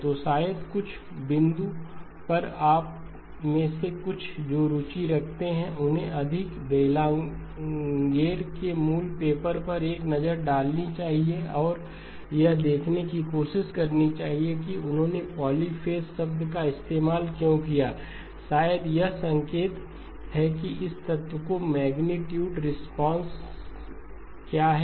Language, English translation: Hindi, So maybe at some point some of you who are interested should take a look at more Bellanger’s original paper and try to see why he used the term polyphase, maybe a hint to that is, what is the magnitude response of this element